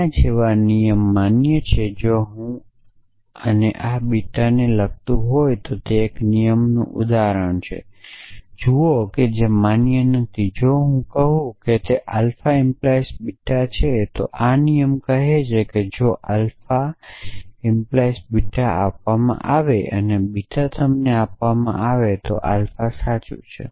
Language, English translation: Gujarati, So, rule like this is valid if this and this actually entail beta, so look at an example of a rule which is not valid if I say alpha implies beta and beta, I am just writing in the old which is its similar thing this is not really a valid rule